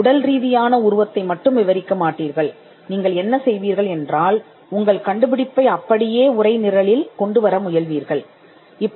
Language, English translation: Tamil, You would not describe the physical embodiments; rather, what you would do is you would describe the invention, and what we call you would textualise the invention